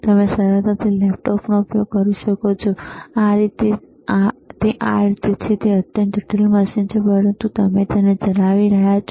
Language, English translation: Gujarati, You can easily use laptop, this is how it is, it is extremely complicated machine, but what you are using you are just operating it